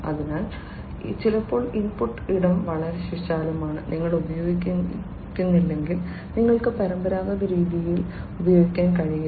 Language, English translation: Malayalam, So, sometimes the input space is so, broad and if you do not use you know you cannot use the traditional search methods, right